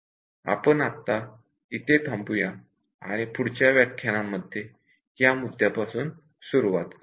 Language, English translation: Marathi, We will stop at this point and continue from this point in the next session